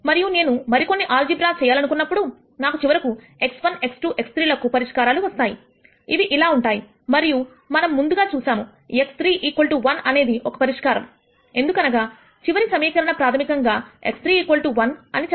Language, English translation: Telugu, And when I do some more algebra I nally get a solution to x 1 x 2 x 3 which is the following; And we had already seen that x 3 equal to 1 has to be a solution because the last equation basically said x 3 equal to 1